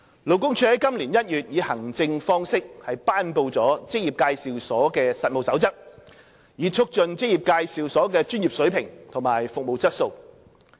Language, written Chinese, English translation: Cantonese, 勞工處在今年1月以行政方式頒布的《職業介紹所實務守則》，以促進職業介紹所的專業水平和服務質素。, LD published the Code of Practice for Employment Agencies the Code administratively in January this year to promote the professionalism and service quality of EAs